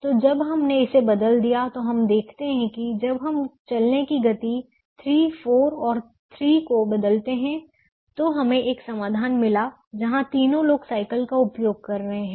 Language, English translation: Hindi, so when we change little, we observe that the when we change the walking speed three, four and three we got a solution where all the three people are using the bicycle